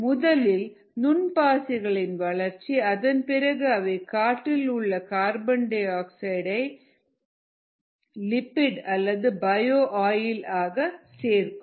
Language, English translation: Tamil, you grow micro algae, the micro algae, ah, convert the carbon dioxide in the air and in that process they accumulate lipids or bio oil